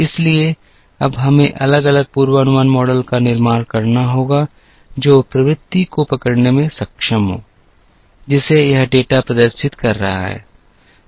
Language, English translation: Hindi, So, we have to now build different forecasting models that are capable of capturing the trend, which this data is exhibiting